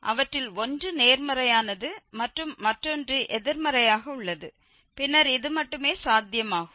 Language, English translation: Tamil, So, one of them is positive and the other one is negative then only this is possible